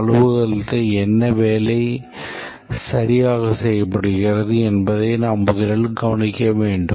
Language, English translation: Tamil, we need to first observe that what work is exactly done in the office